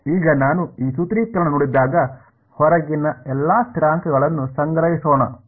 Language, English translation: Kannada, Now when I look at this expression let us just gather all the constants outside